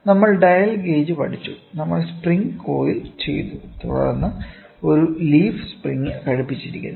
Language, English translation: Malayalam, We studied dial gauge, we had coiled spring then we had a leaf spring attached